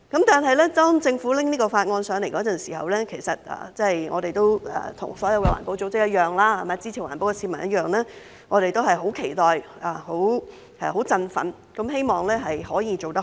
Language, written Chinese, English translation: Cantonese, 當政府提交這項法案時，其實跟所有環保組織及支持環保的市民一樣，我們都是十分期待和振奮，希望可以做得好。, When the Government introduced this Bill in fact like all green groups and members of the public who support environmental protection we were looking forward to and excited about it hoping to do a better job